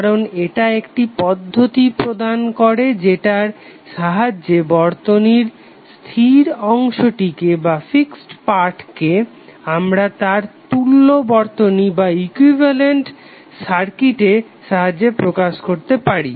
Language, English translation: Bengali, Because it provides a technique by which the fixed part of the circuit is replaced by its equivalent circuit